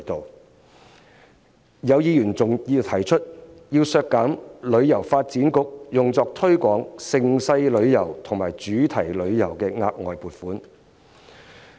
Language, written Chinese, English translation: Cantonese, 還有議員提出削減香港旅遊發展局用作推廣盛事旅遊和主題旅遊的額外撥款。, There is also an amendment seeking to reduce the additional provision for the Hong Kong Tourism Board to promote event tourism and thematic tourism